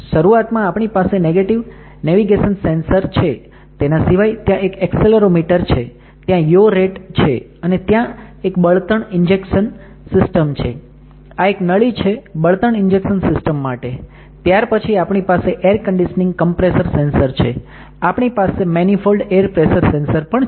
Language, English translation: Gujarati, We have the initial navigation sensors there is an accelerometer, there is a yaw rate, then there is a fuel injection system; this is for nozzles for fuel injection system, then we have air conditioning compressor sensor, we have a main fold air pressure sensor